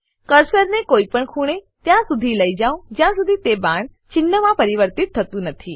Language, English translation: Gujarati, Take the cursor to any corner of the window till it changes to an arrow indicator